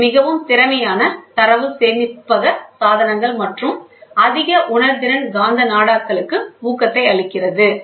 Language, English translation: Tamil, This gives a boost to more efficient data storage devices and more sensitive magnetic tapes